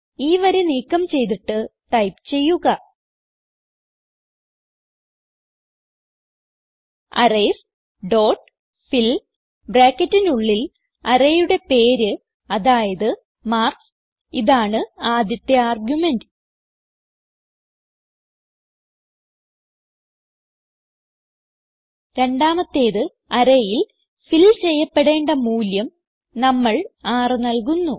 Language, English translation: Malayalam, Remove the sorting line and Type Arrays dot fill within brackets the name of the arrays i.e marks This is our first argument and second is the value that should be filled in the array we will give it 6 and semicolon